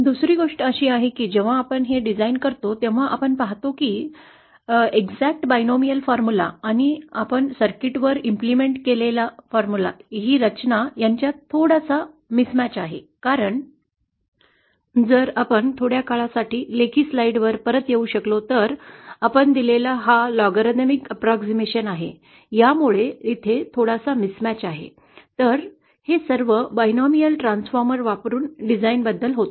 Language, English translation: Marathi, The other thing is when we do this design we see that there is a slight mismatch between the exact binomial formula and this design that we have implemented on the circuit and mismatch is because… if we can come back to the written slide for a moment is because of this approximation, this logarithmic approximation that we give, because of this, there is a slight mismatch, so that was all about design using the binomial transformer